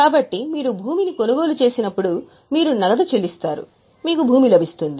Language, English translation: Telugu, So, when you purchase land you pay cash you receive land